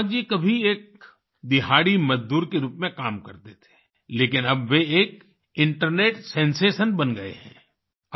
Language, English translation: Hindi, Isaak ji once used to work as a daily wager but now he has become an internet sensation